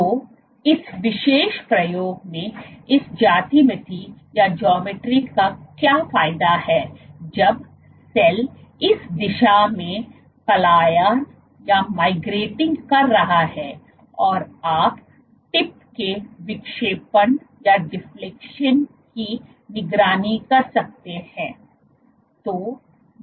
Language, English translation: Hindi, So, what is the advantage of this geometry in this particular experiment when the cell is migrating in this direction you can monitor the deflection of the tip